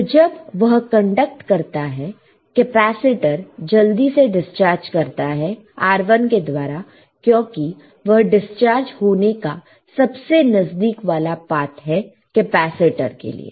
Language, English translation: Hindi, So, when it is conducting the capacitor will quickly discharged through R1 right, it is a closest part to discharge is the path to discharge for the capacitor, right